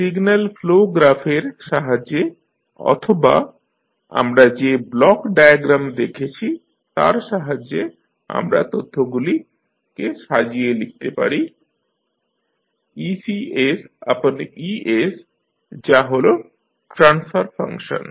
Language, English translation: Bengali, So, with the help of signal flow graph and or may be the block diagram which we just saw, we can compile this information, we can write ec by e that is the transfer function for output ec